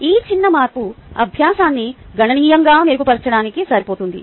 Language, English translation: Telugu, ok, this small change is good enough to improve the learning significantly